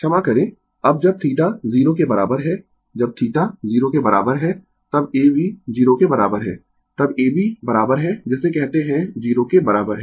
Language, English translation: Hindi, Sorry, now when theta is equal to 0 right when theta is equal to 0, then A B is equal to 0, then A B is equal to your what you call is equal 0